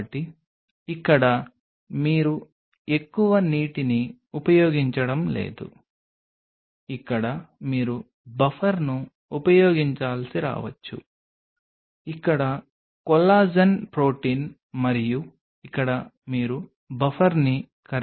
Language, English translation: Telugu, So, here you are not using any more water you may have to use the buffer here is the collagen protein and here you have the buffer in which this is dissolved